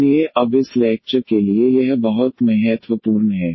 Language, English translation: Hindi, So, this is very important for this lecture now